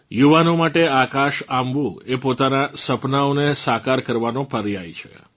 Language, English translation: Gujarati, For the youth, touching the sky is synonymous with making dreams come true